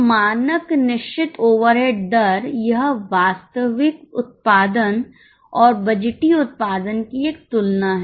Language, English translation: Hindi, So, standard fixed overhead rate, it's a comparison of actual output and budgeted output